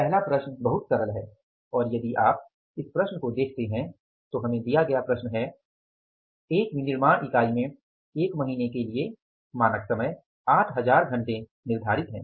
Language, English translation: Hindi, And if you look at this problem, the problem given to us is in a manufacturing concern, the standard time fixed for a month is 8,000 hours